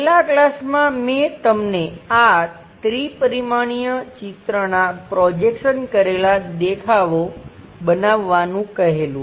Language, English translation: Gujarati, In the last class, I have asked you to construct this three dimensional picture into projectional views